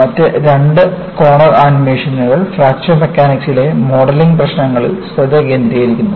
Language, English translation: Malayalam, The other two corner animations focus on the modeling issues in Fracture Mechanics